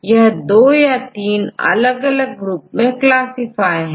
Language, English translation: Hindi, So, they classify into two or three different groups